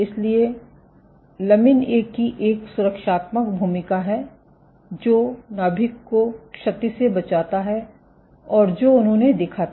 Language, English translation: Hindi, So, lamin A has a protective role it protects the nuclear from damage and what they also observed ok